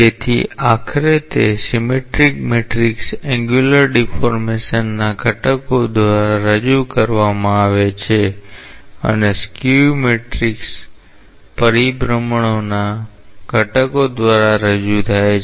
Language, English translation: Gujarati, So, eventually that symmetric matrix is being represented by the components of the angular deformation and the skew symmetric matrix is represented by the components of the rotation